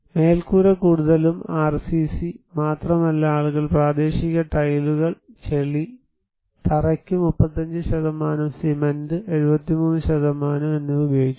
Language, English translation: Malayalam, Roof; mostly RCC but also people use local tiles, mud, 35 % for the floor, cement 73%